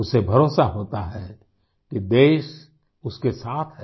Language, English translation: Hindi, They feel confident that the country stands by them